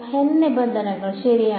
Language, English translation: Malayalam, N terms right